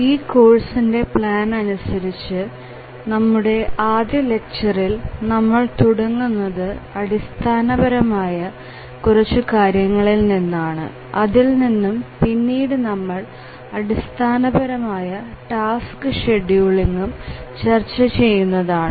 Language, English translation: Malayalam, The plan of this course is that this first lecture we will start with some very basic introduction and then we will look some basics of task scheduling